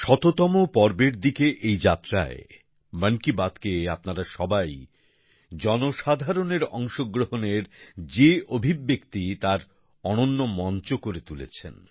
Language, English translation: Bengali, In this journey towards a century, all of you have made 'Mann Ki Baat' a wonderful platform as an expression of public participation